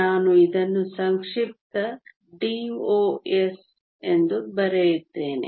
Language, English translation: Kannada, I will write this an abbreviation DOS